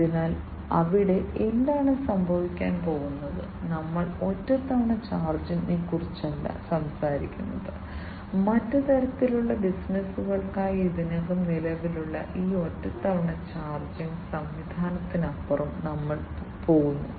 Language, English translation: Malayalam, So, there so what is going to happen is we are not talking about a one time kind of charge, and we are going beyond this one time kind of charging mechanism that already exists for other types of businesses